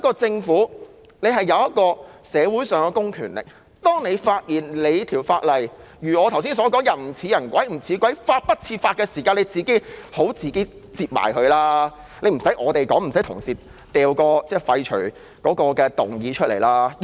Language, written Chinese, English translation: Cantonese, 政府有社會上的公權力，當你發現法例如我剛才所說的"人不人，鬼不鬼，法不法"的時候，便應當自行取消，無須我們提出，無須同事提出要廢法的擬議決議案。, This is ancient wisdom that has stood the test of time President . The Government can exercise public power in society . But when the Government finds that an ordinance has become like what I just said unmanly unearthly and unlawful it should repeal the ordinance rather than waiting for us to propose a resolution to repeal it